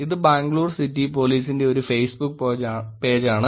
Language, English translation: Malayalam, This is a Facebook page of Bangalore City Police